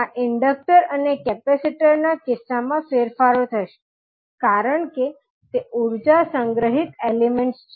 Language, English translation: Gujarati, These changes would be there in case of inductor and capacitor because these are the energy storage elements